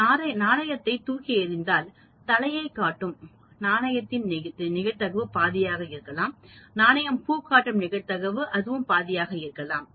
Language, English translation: Tamil, If I am tossing a coin probability of coin showing head could be half, probability of coin showing tail it could be half